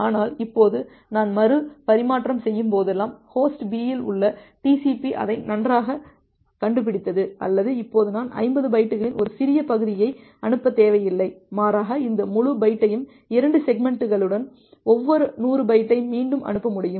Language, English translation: Tamil, But now whenever I am doing the retransmission, I found out or better to say that TCP at host B finds out that well, now I do not need to send a small segment of 50 byte, rather I can retransmit this entire byte with 2 segments of 100 bytes each